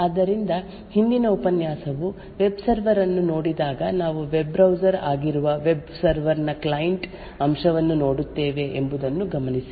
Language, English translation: Kannada, So, note that while the previous lecture looked at the web server we look at the client aspect of the web server that is a web browser